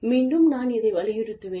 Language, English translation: Tamil, The other thing is, again, i will stress on this